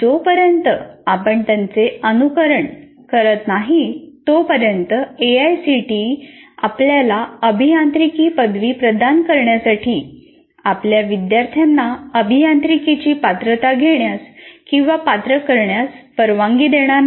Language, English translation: Marathi, Unless you follow that, AACTE will not permit you to, permit you to conduct and award or qualify your students for the award of engineering degrees